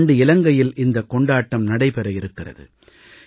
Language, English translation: Tamil, This year it will take place in Sri Lanka